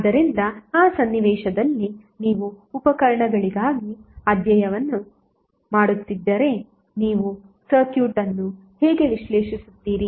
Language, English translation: Kannada, So in that scenario if you are doing the study for appliances, how you will analyze the circuit